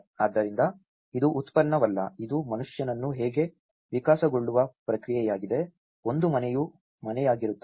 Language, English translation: Kannada, So, this is not a product, it is a process how man evolves, a house into a home